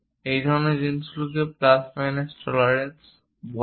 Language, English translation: Bengali, 10, such kind of things what we call plus minus tolerances